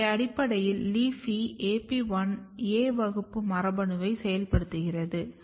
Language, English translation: Tamil, So, basically LEAFY activate AP1, A class gene